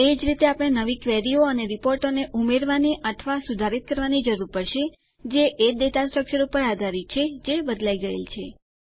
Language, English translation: Gujarati, Similarly, we will need to modify or add new queries and reports which are based on the data structure that was changed